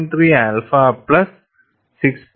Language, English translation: Malayalam, 3 alpha plus 6